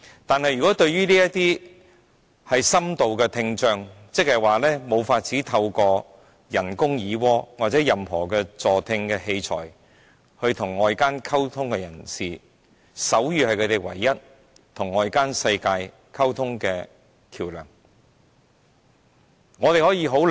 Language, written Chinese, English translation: Cantonese, 但是，對於這些深度聽障人士，他們無法透過人工耳蝸或其他助聽器材與外界溝通，手語便是他們唯一的溝通橋樑。, But sign language is the only communication means to these people with profound hearing impairment who cannot communicate with others by having cochlear implants or using hearing aids